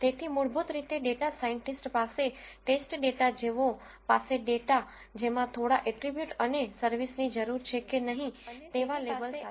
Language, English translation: Gujarati, So, essentially the data scientist has data which is like a training data for him which contains few attributes and with a label whether a service is needed or not